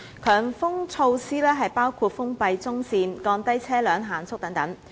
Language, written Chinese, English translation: Cantonese, 強風措施包括封閉中線、降低車輛限速等。, HM measures include closure of the centre lanes lowering the speed limit for vehicles etc